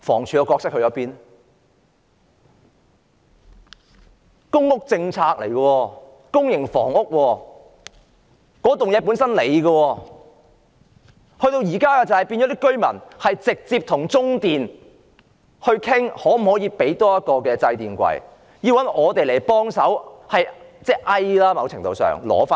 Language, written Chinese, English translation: Cantonese, 這是公屋政策，也是公營房屋，這棟樓宇是房署的，但現時居民卻要直接與中電商討可否多提供一個掣櫃，更要尋求議員的協助。, This concerns the public housing policy and these units are public housing units not to mention that this is a building of HD . But now the residents have to negotiate with CLP directly on the provision of an additional switch board . What is more they even have to turn to Members of this Council for assistance